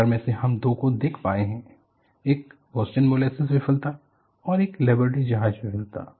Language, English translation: Hindi, Of the four, we have been able to see two of them; one is the Boston molasses failure; another is a liberty ship failure